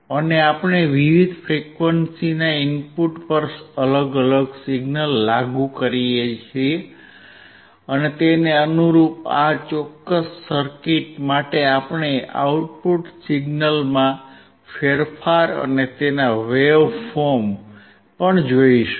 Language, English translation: Gujarati, And we can apply different signal at the input of different frequency and correspondingly for this particular circuit we will see the change in the output signal and also its waveform